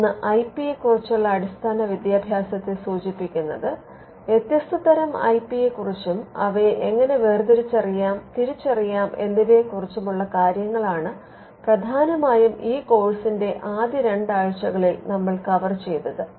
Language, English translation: Malayalam, On the education part the education part can be divided into three parts; one refers to the basic education on IP, the different types of IP on how to distinguish and identify them this is largely what you had what we had covered in the first two weeks of this course